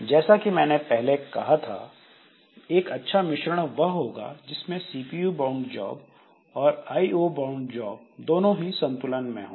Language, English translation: Hindi, So, as I said that a good job mix, it should have both CPU bound job and computer I